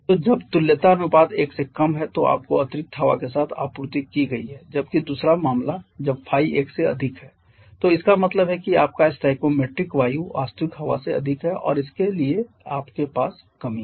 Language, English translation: Hindi, So, when equivalence ratio is less than 1 you have been supplied with excess air whereas the other case when Phi is greater than 1 that means your stoichiometric air is more than the actual air and therefore you have deficiency